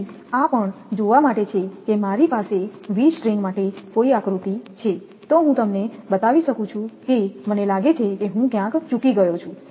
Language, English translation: Gujarati, So, this is also just see if I have any diagram for V strings, I can show you I think I have missed somewhere